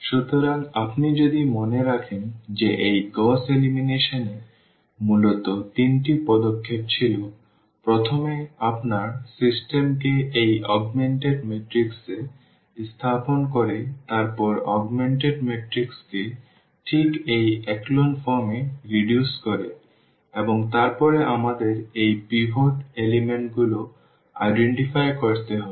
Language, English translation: Bengali, So, if you remember there this Gauss elimination was basically having three steps – the first one putting your system into this augmented matrix then reducing the augmented matrix exactly into this echelon form which we call and then we need to identify these pivot elements